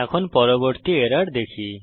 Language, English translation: Bengali, Let us look at the next error